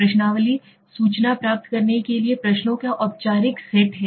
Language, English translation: Hindi, A questionnaire is a formalized set of questions for obtaining the information right